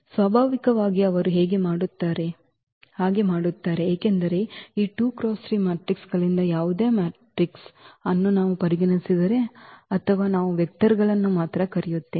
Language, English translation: Kannada, So, naturally they do because if we consider any vector any matrix from this 2 by 3 matrices or the elements we call vectors only